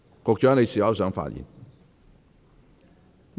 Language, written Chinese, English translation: Cantonese, 局長，你是否想發言？, Secretary do you wish to speak?